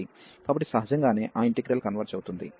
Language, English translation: Telugu, So, naturally that integral will converge